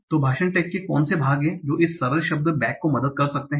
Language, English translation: Hindi, So what are the part of speech tags that this simple word like back can have